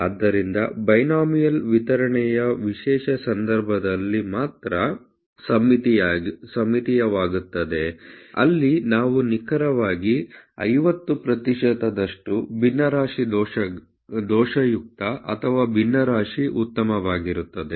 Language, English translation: Kannada, So, binomial distribution become symmetrical only in a special case, where you have exactly probability of 50 percent to be fraction defective or fraction good